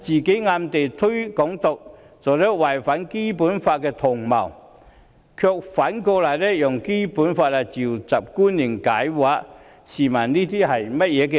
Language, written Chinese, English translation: Cantonese, 她暗推"港獨"並作為違反《基本法》的同謀，卻反過來引用《基本法》傳召官員來解釋，試問這是甚麼道理？, While she secretly promotes Hong Kong independence and conspires to violate the Basic Law she has conversely cited the Basic Law to summon officials to give explanations . What kind of reasoning is this?